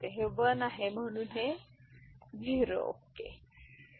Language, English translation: Marathi, So, this is 1 so this is then will become 0 ok